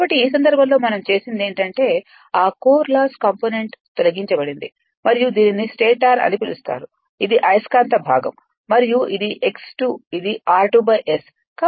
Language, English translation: Telugu, So, in this case what we have done is that, that core loss component is removed right and this is your what you call this is the stator side, this is the magnetizing part and this is x 2 dash this is r 2 dash by S right